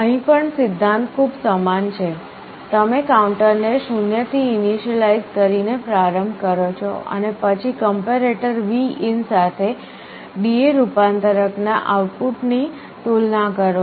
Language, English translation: Gujarati, Here also the principle is very similar, you start by initializing the counter to 0 and then the comparator will be comparing D/A converter output with Vin